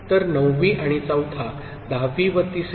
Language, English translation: Marathi, So, 9th and 4th; 10th and 3rd ok